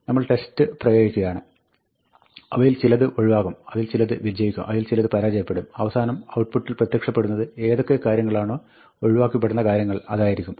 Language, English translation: Malayalam, And then, we apply the test and some of them will pass, and some of them will succeed, some of them will fail, and at the end, wherever the things pass, those items will emerge in the output